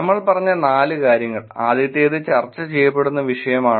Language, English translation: Malayalam, Four things we said, the first one is the topic that were being discussed